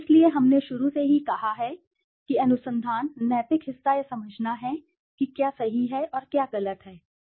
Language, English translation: Hindi, So, we have said from the very beginning that research, the ethical part is to understand what is right and what is wrong